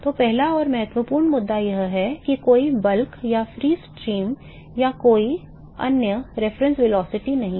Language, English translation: Hindi, So, the first and important issue is that there is no bulk or free stream or any other reference velocity